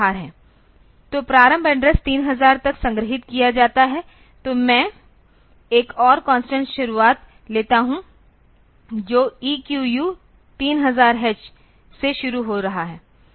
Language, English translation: Hindi, So, the start address is stored to be 3000; so, I take another constant start which is starting to EQU 3000 h